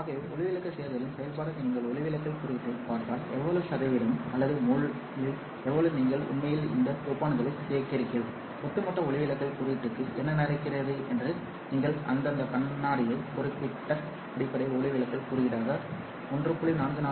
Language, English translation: Tamil, So if you look at the refractive index as a function of the dopant addition, so how much in percentage or in how much in mole you are actually adding this dopants and what happens to the overall refractive index, you see that glass has a certain base refractive index of say 1